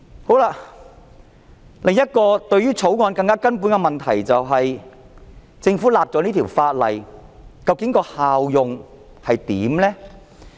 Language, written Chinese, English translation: Cantonese, 《條例草案》另一個更根本的問題是，政府訂立此項法例的效用究竟是甚麼？, Another fundamental problem of the Bill is What is the effect will of this legislation by the Government?